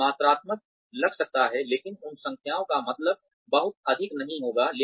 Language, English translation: Hindi, It could look quantitative, but those numbers, would probably not mean, very much